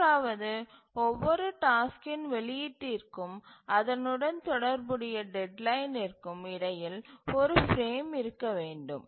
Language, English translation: Tamil, The third is that between the release of every task and its corresponding deadline there must exist one frame